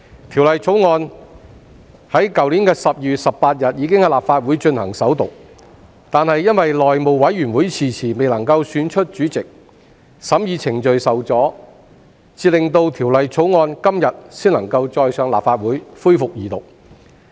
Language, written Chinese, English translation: Cantonese, 《條例草案》在去年12月18日已經在立法會進行首讀，但由於內務委員會遲遲未能選出主席，審議程序受阻，到今天才能恢復《條例草案》的二讀辯論。, The Bill was read for the First time in the Legislative Council on 18 December last year . However due to the delay in the election of the Chairman of the House Committee the deliberation process was impeded and the Second Reading debate on the Bill can only be resumed today